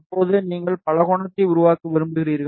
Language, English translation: Tamil, Now, you want to make the polygon